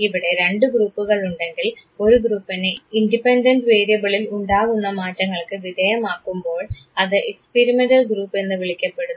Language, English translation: Malayalam, And when you have two groups one group which is exposed to changes in the independent variable is called the experimental group